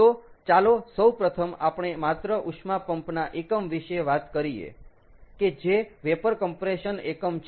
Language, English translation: Gujarati, so first let us talk about just the heat pump unit, which is the vapour compression unit